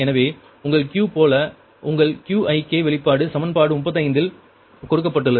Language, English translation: Tamil, so against, like your q, your qik expression is given in equation thirty five, right